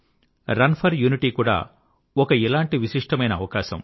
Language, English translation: Telugu, 'Run for Unity' is also one such unique provision